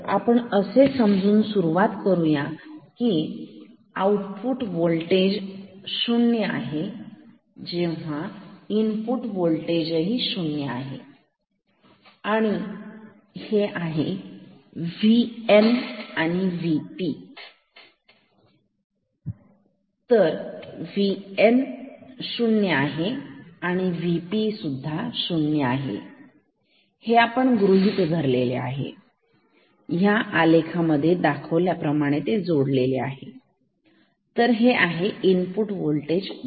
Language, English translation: Marathi, So, let us start with the assumption that V i is equal to 0, V o equal to 0, and this is V N, V P; V N equal to 0 V P is of course, 0 this is not an assumption this is connected to graph this is V i